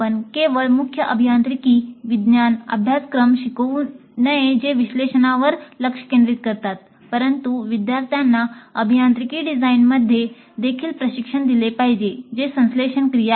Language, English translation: Marathi, We should not only teach core engineering science courses which focus on analysis, but we should also train the students well in engineering design, which is a synthesis activity